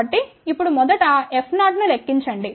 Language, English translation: Telugu, So, now, first calculate F 0